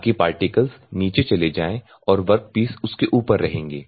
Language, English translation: Hindi, So, that the particles will go down and the work pieces will stay on top of it